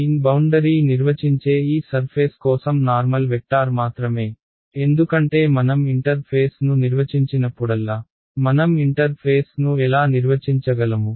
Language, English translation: Telugu, n cap is just the normal vector for this surface that defines the boundary ok, because whenever I define a interface I how do I define the interface